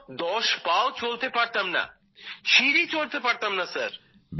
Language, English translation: Bengali, I could not walk ten steps, I could not climb stairs Sir